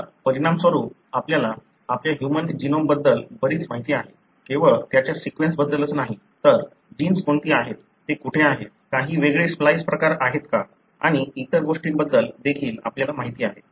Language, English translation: Marathi, So, as a result, now we know a great deal about our human genome, not only about its sequence, but we also know about what are the genes, where they are located, are there any different splice variants and so on